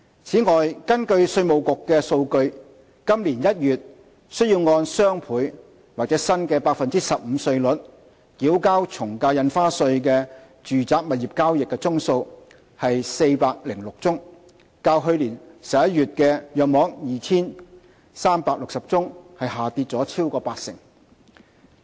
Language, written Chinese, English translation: Cantonese, 此外，根據稅務局的數據，今年1月須按雙倍或新 15% 稅率繳交從價印花稅的住宅物業交易宗數為406宗，較去年11月約 2,360 宗下跌超過八成。, Moreover according to the data from IRD the number of residential property transaction cases subject to DSD or the new flat rate of 15 % in January this year is 406 representing a drop of more than 80 % as compared with 2 360 cases in November last year